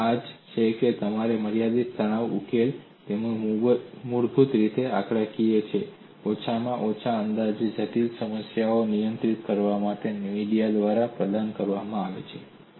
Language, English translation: Gujarati, And this is where your finite element solutions, which are basically numerical in approach, provided a via media, to handle complex boundaries at least approximately